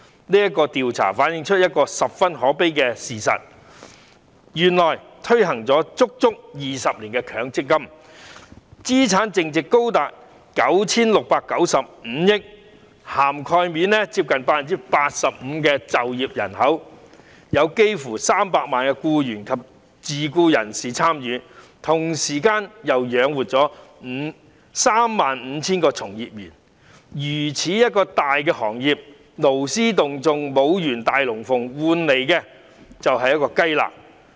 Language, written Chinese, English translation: Cantonese, 這項調查反映出一個十分可悲的事實：原來，強積金制度推行了整整20年，資產淨值高達 9,695 億元，涵蓋接近 85% 的就業人口，有幾近300萬名僱員及自僱人士參與，同時並養活了 35,000 個從業員，這個如此龐大的行業勞師動眾演出一場"大龍鳳"，換來的卻只是一塊"雞肋"。, This survey reflects a very sad truth . Despite the fact that the MPF System has been implemented for 20 years with a net asset value amounting to as high as 969.5 billion and a coverage rate of nearly 85 % of the working population involving almost up to 3 million employees and self - employed persons; and at the same time has provided jobs for 35 000 industry players such a giant industry has made a huge fuss to put on a show and in return it turns out to be just a chicken rib